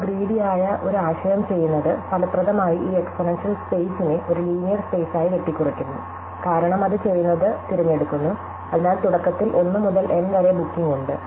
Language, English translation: Malayalam, Now, what our greedy strategy does is effectively it cuts down this exponential space into a linear space, because what it does is to pick, so we have initially bookings 1 to N